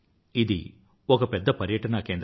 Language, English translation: Telugu, It is a very important tourist destination